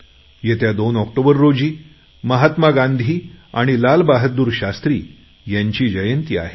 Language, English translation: Marathi, 2nd October is the birth anniversary of Mahatma Gandhi and Lal Bahadur Shastri Ji